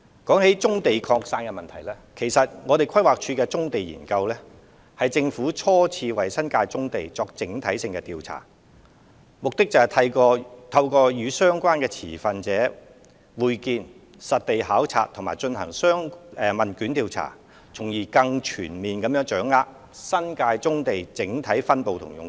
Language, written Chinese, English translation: Cantonese, 關於棕地擴散的問題，規劃署所作的《棕地研究》，其實是政府初次為新界棕地進行的整體性調查，目的是透過與相關持份者會面、實地考察和進行問卷調查，從而更全面掌握新界棕地的整體分布和用途。, With regard to the issue of scattered distribution of brownfield sites the Brownfield Study undertaken by PlanD is actually the first comprehensive survey conducted by the Government on brownfield sites in the New Territories by comprehensively examining the overall distribution and uses of brownfield sites through stakeholder interviews site inspection and questionnaire surveys